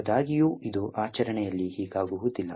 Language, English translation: Kannada, However, this is not what happens in practice